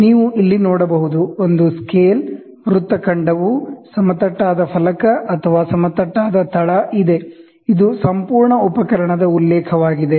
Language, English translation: Kannada, You can see here there is a scale, ok, the arc there is a flat plate or a flat base; this is a reference for the entire instrument